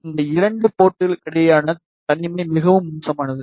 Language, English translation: Tamil, So, the isolation between these two ports is very poor